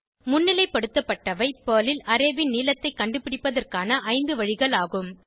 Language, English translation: Tamil, Highlighted, are various ways to find the length of an array in Perl